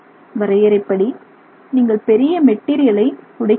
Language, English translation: Tamil, By definition here you are actually breaking down a large scale material